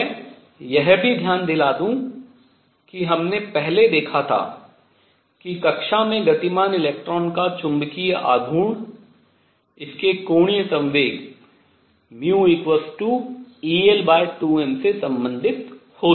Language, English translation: Hindi, I also point out that we saw earlier that the magnetic moment of electron going around in an orbit was related to it is angular momentum as mu equals e l over 2 m